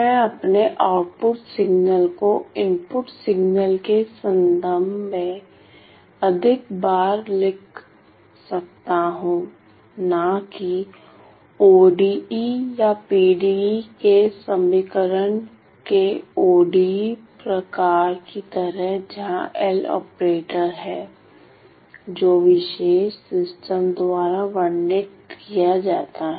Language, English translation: Hindi, So, I can write down my output signal as a relation in terms of the input signal more often than not like an ODE type of a of an equation ODE or PDE where L is the operator which is described by the specific system